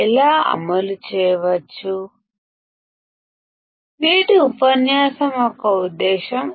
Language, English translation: Telugu, That is the idea of today’s lecture